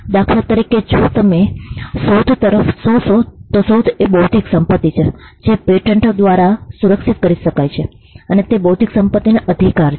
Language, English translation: Gujarati, For instance, if you look at if you look at invention, and invention is an intellectual property which can be protected by a patent, which is an intellectual property right